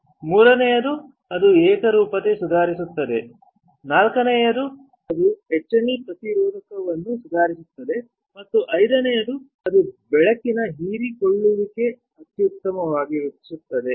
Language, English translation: Kannada, Third is that it will improve the uniformity, fourth is that it will improve the etch resistance and fifth is it will optimize the light absorbance